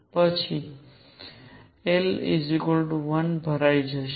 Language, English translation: Gujarati, And then l equals 1, will be filled